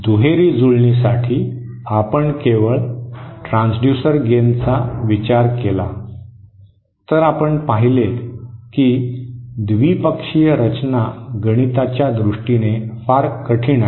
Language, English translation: Marathi, For bilateral matching, for the bilateral for finding out the if we consider only the transducer gain we saw that bilateral design is mathematically very difficult